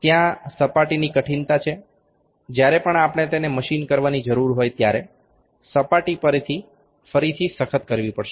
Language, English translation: Gujarati, There is a surface hardness there; whenever we need to machine it the surface is again has to be hardened